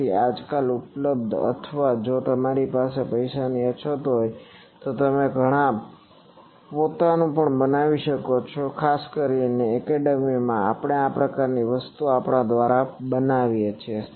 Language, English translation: Gujarati, So, these are nowadays available or you can make your own also if you were running short of money; particularly in academia, we make this type of things on our own